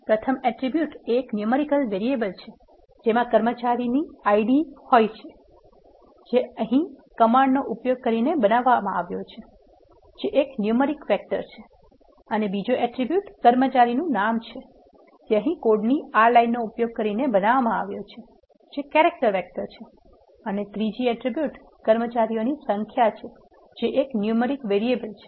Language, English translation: Gujarati, The first attributes is a numeric variable containing the employee IDs which is created using the command here, which is a numeric vector and the second attribute is employee name which is created using this line of code here, which is the character vector and the third attribute is number of employees which is a single numeric variable